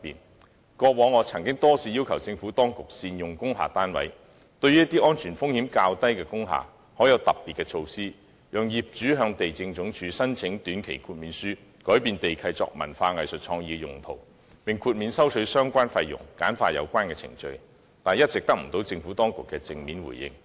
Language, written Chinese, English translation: Cantonese, 我過往多次要求政府當局善用工廈單位，對安全風險較低的工廈採取特別措施，讓業主可向地政總署申請短期豁免書，修改地契作文化、藝術創意用途，並豁免收取相關費用，簡化有關程序，但一直得不到政府當局的正面回應。, I have repeatedly urged the Administration to make better use of industrial building units and adopt special measures for industrial buildings with lower security risk . Under this proposal owners will be eligible to apply to the Lands Department for temporary waiver permitting the modification of land lease for cultural arts and creative uses with relevant fees exempted and relevant procedures simplified . However I have so far received no positive response from the Administration